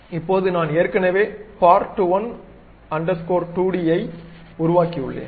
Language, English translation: Tamil, Now, I have already constructed part12d